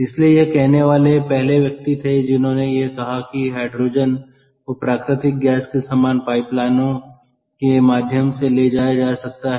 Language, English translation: Hindi, so this is the first person to such that hydrogen could be transported via pipelines likes natural gas, similar to natural gas